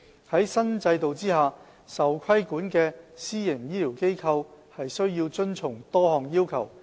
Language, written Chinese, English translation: Cantonese, 在新制度下，受規管的私營醫療機構須遵從多項要求。, Under the new regulatory regime PHFs subject to regulation should meet a number of requirements